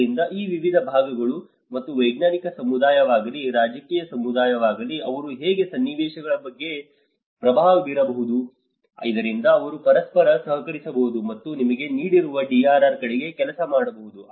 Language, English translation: Kannada, So, this is how these various segments of these whether it is a scientific community, is a political community, how they can come with a hands on situations so that they can cooperate with each other and work towards you know DRR